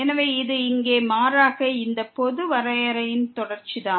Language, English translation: Tamil, So, this is just the continuation of this rather general definition here